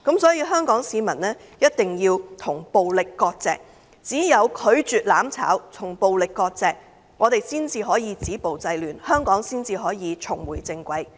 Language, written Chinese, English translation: Cantonese, 因此，香港市民一定要與暴力割席，只有拒絕"攬炒"，與暴力割席，我們才能止暴制亂，香港才能重回正軌。, Hence the people of Hong Kong must sever ties with violence and say no to mutual destruction . Only by severing ties with violence can we stop violence and curb disorder and let Hong Kong go back to its right track